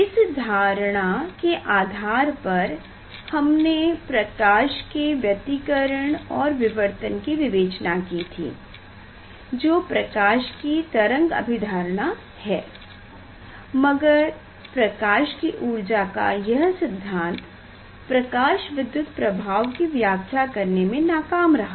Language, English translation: Hindi, that is the concept we used for the explanation of the interference and diffraction property of light and that it is a wave concept of light, But this concept of energy of light was unable to explain the photoelectric effect